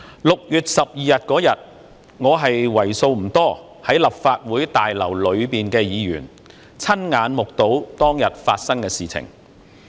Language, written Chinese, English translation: Cantonese, 6月12日，在立法會大樓內的議員為數不多，我是其中一位，親眼目睹當天發生的事情。, On 12 June there were not too many Members in the Legislative Council Complex . I was one of them . I personally witnessed what happened on that day